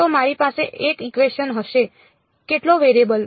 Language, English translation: Gujarati, So, I will have 1 equation how many variables